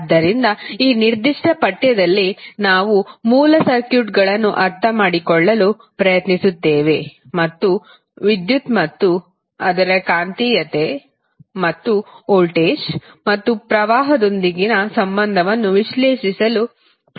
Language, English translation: Kannada, So, in this particular course we will try to understand the basic circuits and try to analyse what is the phenomena like electricity and its magnetism and its relationship with voltage and current